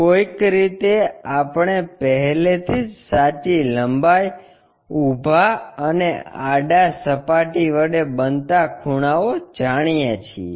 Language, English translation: Gujarati, Somehow we already know that true length and angle made by the vertical plane, horizontal plane